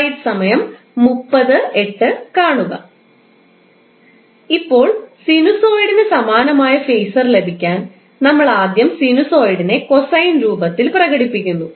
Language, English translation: Malayalam, Now, to get the phaser corresponding to sinusoid, what we do, we first express the sinusoid in the form of cosine form